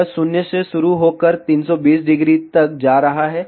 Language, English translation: Hindi, It is starting from 0 and going up to 320 degree